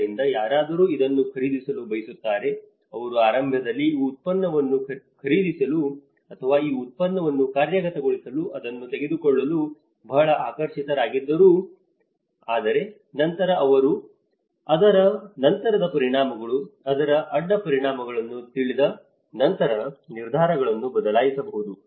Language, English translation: Kannada, So, someone wants to buy this, they were initially very fascinated to buy this product or to take this to implement this product but then they learn that this is the after effects of it, there is a side effects of it and that is what they might change the decisions